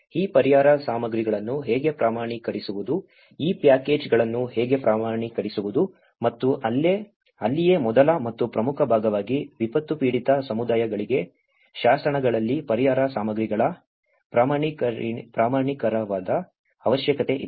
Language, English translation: Kannada, How to standardize these relief materials, how to standardize these packages and that is where the first and foremost important part, there is a need of standardization of relief materials in the legislations for the disaster affected communities